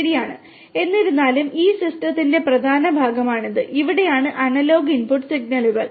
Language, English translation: Malayalam, Right However, this is the main part of this system, where these are the analog input signals